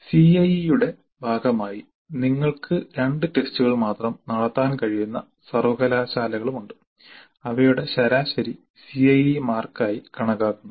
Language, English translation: Malayalam, There are universities where you can conduct only two tests as a part of CIE and their average is taken as the CIE marks